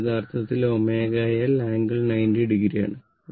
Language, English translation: Malayalam, So, V omega L angle 90 degree